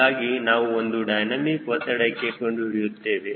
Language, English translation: Kannada, so we will calculate for one dynamic pressure